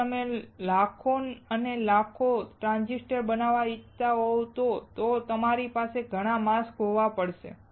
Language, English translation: Gujarati, If you want to fabricate millions and millions of transistors, you have to have lot of masks